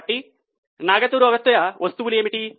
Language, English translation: Telugu, So, what are those non cash items